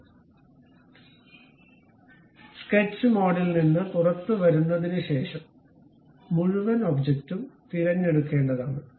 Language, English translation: Malayalam, So, after coming out from sketch mode, we have to select this entire object